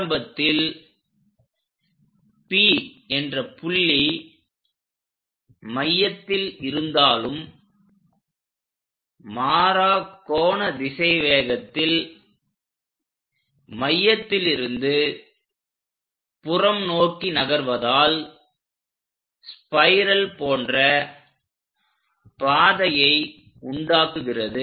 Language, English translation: Tamil, This point P though initially, it might be at center as it moves with the constant angular velocity and moving out radially then it tracks a shape like a spiral